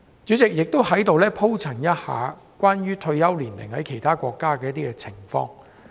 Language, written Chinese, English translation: Cantonese, 主席，我在此也談一下有關其他國家退休年齡的情況。, President I also wish to talk about the retirement age of judges in other countries